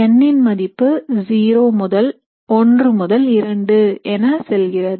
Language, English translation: Tamil, The value of n goes from zero to 1 to 2, etc